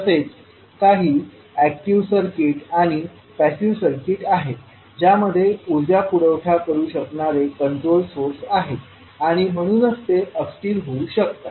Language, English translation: Marathi, Now there are certain circuits like active circuit and passive circuit which contains the controlled sources which can supply energy and that is why they can be unstable